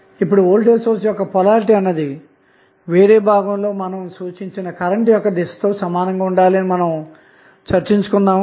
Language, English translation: Telugu, Now, as we discuss that polarity of voltage source should be identical with the direction of branch current in each position